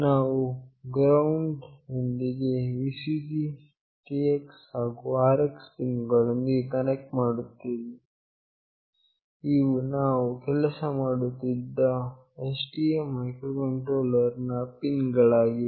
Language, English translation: Kannada, I will be connecting with the GND, Vcc, TX, and RX pins of the STM microcontroller with which we were working